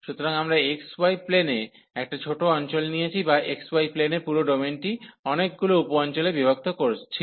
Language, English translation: Bengali, So, we have taken the small region in the x, y plane or the whole domain in the x, y plane was divided into many sub regions